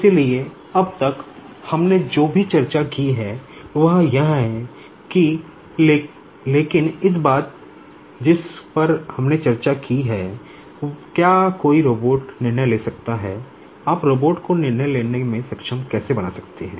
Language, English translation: Hindi, So, till now, whatever we have discussed is this, but one thing we have not a discussed, can a robot take decision, how can you make the robot capable of taking decision